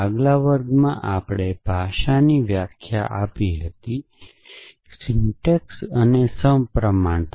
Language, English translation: Gujarati, In the class, we defined the language, essentially the syntax and symmetries